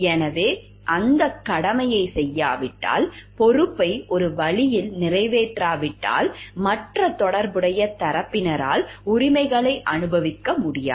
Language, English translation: Tamil, So, we will, if that duty is not performed, responsibility is not performed in one way, the other connected party can never enjoy the rights